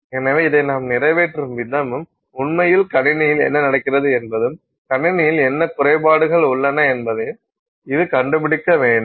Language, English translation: Tamil, So, the way we accomplish this and the way it is actually happening in the system it has got to do with what defects are present in the system